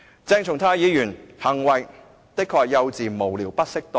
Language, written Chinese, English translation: Cantonese, 鄭松泰議員的行為的確是幼稚、無聊、不適當。, The act of Dr CHENG Chung - tai was indeed childish frivolous and inappropriate